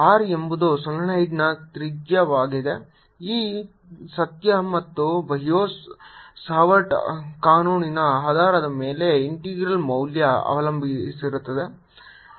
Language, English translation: Kannada, if r is the radius of the solenoid, then on the basis of this fact and and bio savart law, the value of the integral